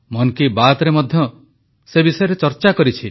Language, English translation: Odia, I have touched upon this in 'Mann Ki Baat' too